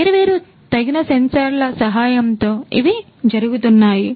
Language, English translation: Telugu, These are being done with the help of different appropriate sensors